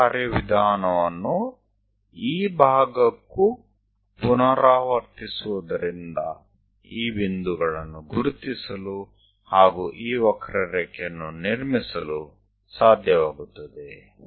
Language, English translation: Kannada, Same procedure one has to repeat it for this part also so that one will be in a position to identify these points, construct this curve